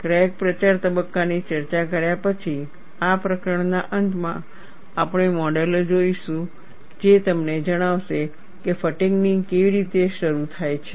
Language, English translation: Gujarati, After discussing the crack propagation phase, towards the end of this chapter, you would also see models that tell you how a fatigue crack gets initiated